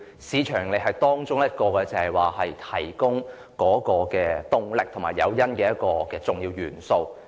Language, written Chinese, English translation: Cantonese, 市場盈利只是提供動力和誘因的一項重要元素。, Market profits are an integral element capable of offering drive and an incentive only